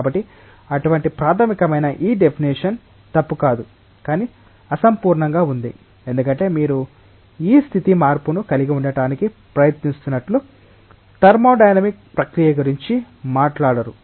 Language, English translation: Telugu, So, this definition as such fundamental is not incorrect, but incomplete, because it does not talk about the thermodynamic process by which you are trying to have this change of state